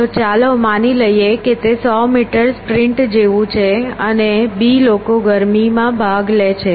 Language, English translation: Gujarati, So, let us assume it is like a hundred meter sprint and b people compete in a heat